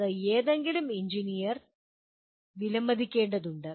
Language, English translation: Malayalam, That needs to be appreciated by any engineer